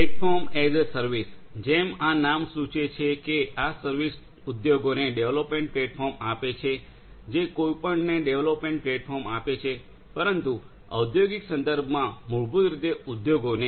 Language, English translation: Gujarati, Platform as a service; as this name suggests this service gives development platforms to the industries, development platforms to whoever, but in the industrial context basically the industries